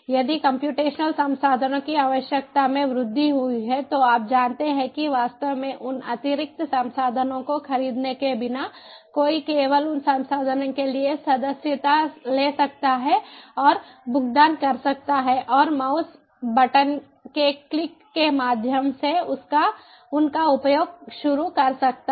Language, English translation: Hindi, if the, if there is increase in the requirement of a, in the requirement of computational resources, then it, you know, without actually going about buying those additional resources, one can simply subscribe and pay for those resources and start using them right through the click of a mouse button